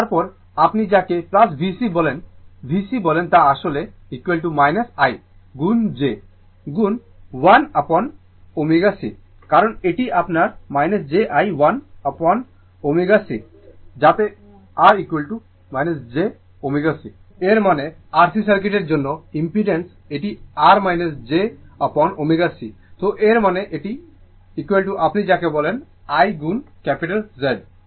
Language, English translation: Bengali, And then your what you call plus V c, V c actually is equal to minus I into j into 1 upon omega c, because this is your minus j I 1 upon omega c, so that is equal to R minus j omega c that means, impedance for the R C circuit it is R minus j upon omega c right, so that means, this is equal to your what you call is equal to I into Z